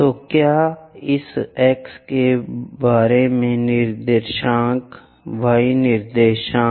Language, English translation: Hindi, So, what about this x coordinate, y coordinate